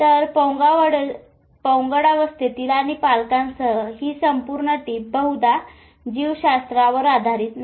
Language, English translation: Marathi, So this whole tiff with adolescents and parents is probably not based on biology